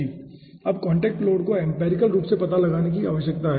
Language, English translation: Hindi, now, contact load, something which 1 need to find out empirically